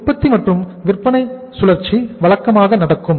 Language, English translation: Tamil, Production and sales cycle is uh regular